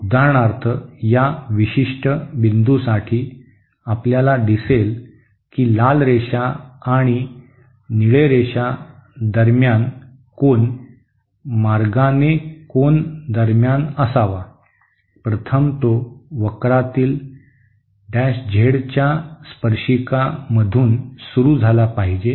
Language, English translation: Marathi, So for example, for this particular point, you see that the angle between the red line and the blue line, the angle by the way has to be between the , first it has to start from the tangent of the Z in A curve and in the tangent of the Z L curve